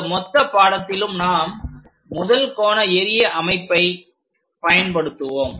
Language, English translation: Tamil, So, throughout our course we go with first angle projection